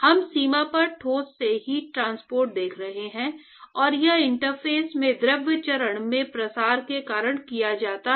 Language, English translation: Hindi, We are looking at heat transport from the solid at the boundary, and it is carried because of diffusion in the fluid phase at the interface